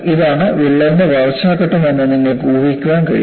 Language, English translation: Malayalam, And you could guess that, this is the growth phase of the crack